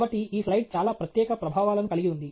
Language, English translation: Telugu, So, this slide has a lot of special effects